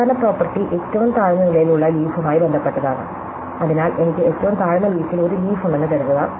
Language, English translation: Malayalam, The final property is to do with leaves at the lowest level, so supposing I have the leaf at the lowest leaf, so this is some leaf of a lowest level